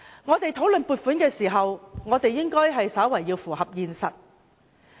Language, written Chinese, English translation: Cantonese, 我們討論撥款時，應要符合現實。, Any discussion on funding allocation should be conducted in context